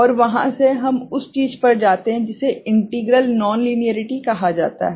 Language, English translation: Hindi, And from there, we go to something which is called integral non linearity ok